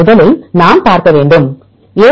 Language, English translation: Tamil, First we need to see for example, a